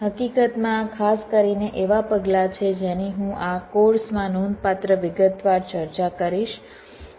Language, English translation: Gujarati, in fact these are specifically the steps which i shall be discussing in this course in significant detail